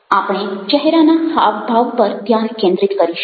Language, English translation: Gujarati, we would be focusing on facial expressions